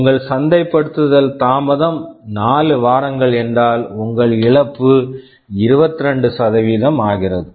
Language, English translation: Tamil, If your delay is 4 weeks, your loss becomes 22%